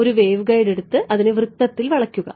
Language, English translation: Malayalam, Take the waveguide from before join it into a circle ok